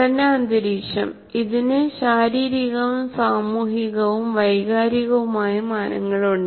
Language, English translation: Malayalam, Learning environment, it has physical, social, and emotional dimensions